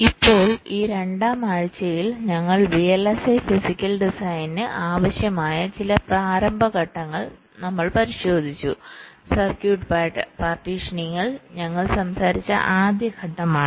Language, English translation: Malayalam, now, during this second week we looked at some of the means, initial steps, that are required for the vlsi physical design, like circuit partitioning, was the first step we talked about